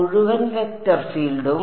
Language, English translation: Malayalam, The whole vector field